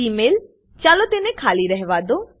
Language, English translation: Gujarati, Email– Lets leave it blank